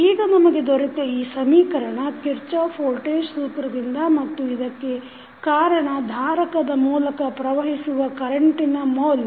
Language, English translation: Kannada, Now, the equations which we have got this main equation which we got from the Kirchhoff’s voltage law and then this is the value of current which is flowing through the capacitor